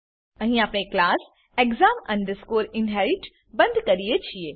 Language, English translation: Gujarati, Here we close the class exam inherit